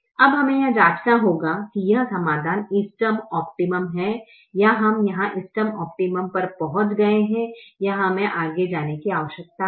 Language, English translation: Hindi, now we have to check whether this solution is optimum or we have reached the optimum here, or do we need to go further